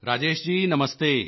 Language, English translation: Punjabi, Rajesh ji Namaste